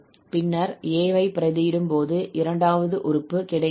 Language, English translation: Tamil, When we put a, we are getting the second one